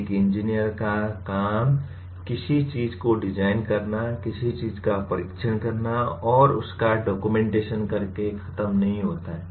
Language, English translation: Hindi, An engineer’s work does not end with designing something, testing something and documenting it